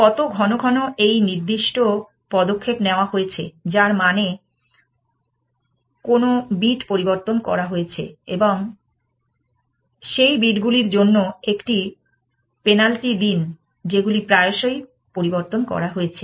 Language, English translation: Bengali, How frequently this particular move has been made, which means which bit has been changes and give a penalty for those bits, which have been change very often